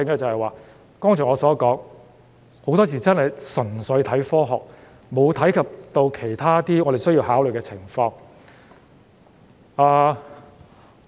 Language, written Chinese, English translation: Cantonese, 正如我剛才所說，一些決定很多時真是純粹看科學，沒有顧及其他需要考慮的情況。, As I just said very often some decisions were made purely based on science without taking into account other factors that require consideration